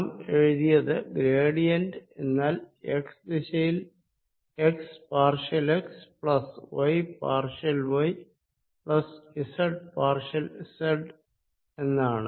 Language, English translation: Malayalam, gradient we wrote as partial derivatives in the direction x with respect to x plus y, partial y plus z, partial z